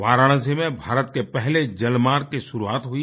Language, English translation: Hindi, India's first inland waterway was launched in Varanasi